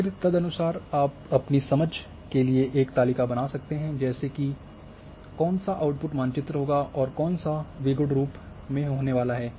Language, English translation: Hindi, And accordingly you can create a table for your understanding like map which will output map which is going to be in binary form